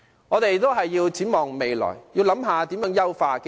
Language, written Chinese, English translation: Cantonese, 我們要展望未來，探討如何優化機制。, Therefore we should look forward and consider how best to improve the mechanism